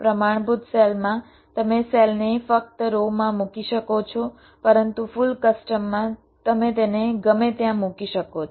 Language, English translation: Gujarati, they are fixed in standard cell you can place the cells only in rows but in full custom you can place them anywhere